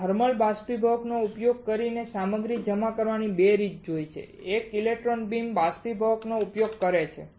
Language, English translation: Gujarati, We have seen 2 way of depositing the material one is using thermal evaporator one is using electron beam evaporator